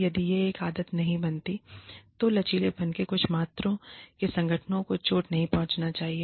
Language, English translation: Hindi, If it does not become a habit, then some amount of flexibility, should not hurt the organizations